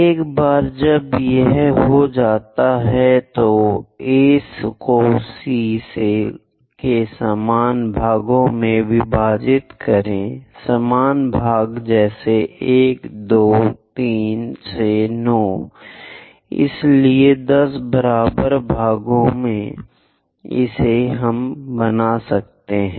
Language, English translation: Hindi, Once it is done, divide A to C into equal number of parts, same number of parts like 1, 2, 3 all the way to 9; so 10 equal parts we are going to construct on this side